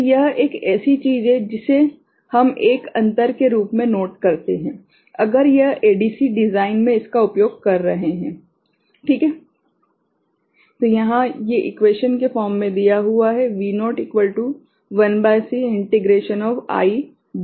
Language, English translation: Hindi, So, this is something which we take note as a difference, if we are using this in an ADC design, right